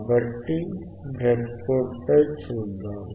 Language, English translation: Telugu, So, let us see on the breadboard